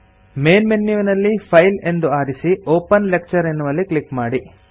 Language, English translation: Kannada, From the Main menu, select File, click Open Lecture